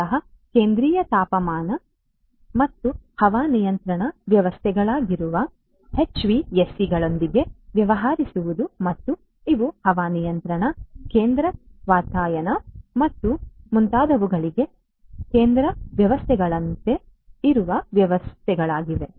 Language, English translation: Kannada, Dealing with the HVACs which are basically the Central Heating Ventilation and Air Conditioning systems and these are the systems which are like you know central systems for air conditioning, central ventilation and so on